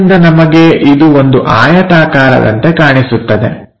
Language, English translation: Kannada, So, we will see it like a rectangle